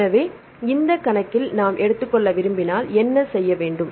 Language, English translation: Tamil, So, if we wanted to take into this account; what you have to do